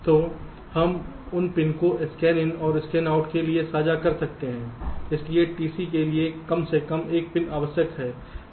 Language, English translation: Hindi, so we can share those pins for scanin and scanout, but at least one pin necessary for t c gate overhead will be ok